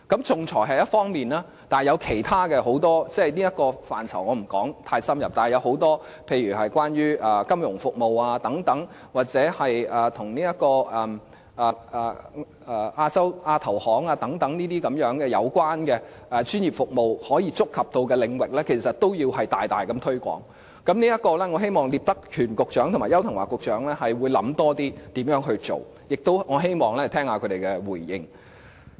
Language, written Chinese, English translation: Cantonese, 仲裁是一方面，還有很多其他的服務，例如金融服務或與亞洲基礎設施投資銀行有關的專業服務等，但這些範疇我不會太深入地談論，不過，這些有關的專業服務可觸及的領域其實均要大力推廣，我希望聶德權局長和邱騰華局長能夠詳細考慮如何推廣，我亦希望能聆聽他們的回應。, Arbitration is one area and there are many other services such as financial services or the professional services relevant to the Asian Infrastructure Investment Bank which I will not elaborate on . However the areas accessible to these relevant professional services must be vigorously promoted . I hope that Secretary Patrick NIP and Secretary Edward YAU can consider in detail how to proceed with the promotion and I also hope that I can listen to their responses